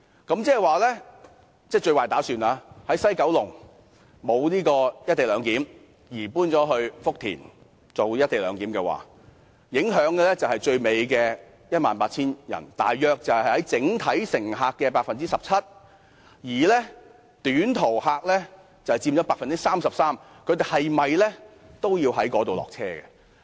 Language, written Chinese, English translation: Cantonese, 如果作最壞打算，即西九龍站不實施"一地兩檢"，而改為在福田站實施"一地兩檢"，受影響的是 18,600 人，約佔整體乘客人數 17%， 而短途客則佔整體人數約 83%， 他們在福田附近下車。, In the worst case scenario that is if the co - location arrangement is not implemented at the West Kowloon Station but at the Futian Station 18 600 passengers about 17 % of all passengers will be affected . Short - haul passengers represent 83 % and they will all get off in the vicinity of Futian